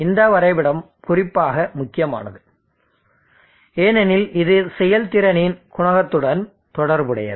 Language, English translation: Tamil, This graph is especially is important because it relates to the coefficient of the performance